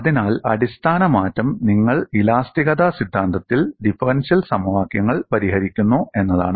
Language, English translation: Malayalam, So, the fundamental shift is, you solve differential equations in theory of elasticity